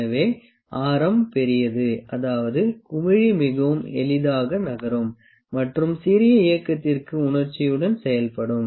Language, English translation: Tamil, So, the larger is the radius, means the bubble can move more easily and reacts to the smaller movement sensitivity more sensitively